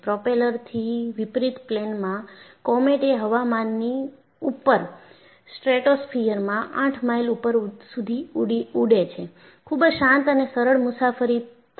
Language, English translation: Gujarati, A jet airliner, in contrast to propeller based planes,comet flew above the weather, 8 miles up in the stratosphere, and provided a quiet and smooth ride